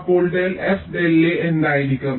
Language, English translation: Malayalam, so what will be del f, del a